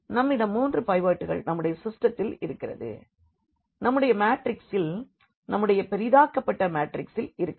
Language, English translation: Tamil, We have three pivots in our in our system here in our matrix in our this augmented matrix